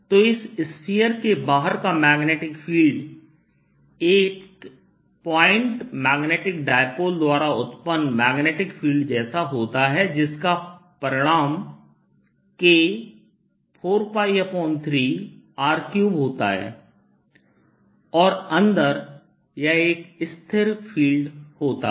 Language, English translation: Hindi, so outside the magnetic field, outside this sphere is like that produced by a point magnetic dipole with magnitude k four pi by three r cubed, and inside it's a constant field